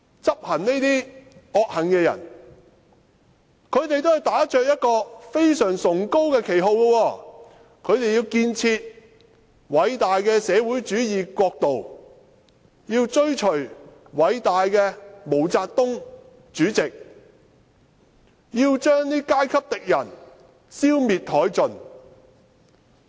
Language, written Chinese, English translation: Cantonese, 執行這些惡行的人，他們都是打着一個非常崇高的旗號，他們要建設偉大的社會主義國度，要追隨偉大的毛澤東主席，要將階級敵人消滅殆盡。, Those who carried out these evil acts were all standing on moral high ground claiming that they wanted to build a great socialist state and follow the great Chairman MAO Zedong to eradicate certain class enemies